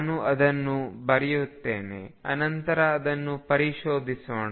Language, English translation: Kannada, So, let me just write it and then we will explore it further